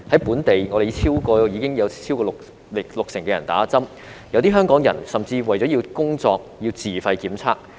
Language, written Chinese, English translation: Cantonese, 本地超過六成市民已打針，有些香港人甚至為了工作而要自費檢測。, More than 60 % of the local people have already been vaccinated . Some Hong Kong people even have to pay for their own tests in order to work